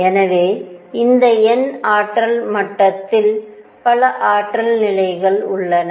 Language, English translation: Tamil, So, this n th energy level has many energy levels